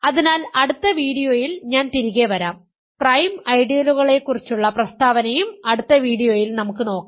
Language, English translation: Malayalam, So, which I will come back to in the next video, the statement about prime ideals also we will come back to in the next video and formally prove this statement